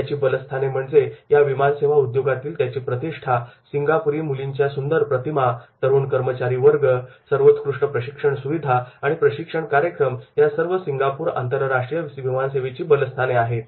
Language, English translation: Marathi, Strengths are the reputation and brand images of the Singapore girl, young fleet and excellent training facilities and programs by the Singapore airlines that is about the strengths are there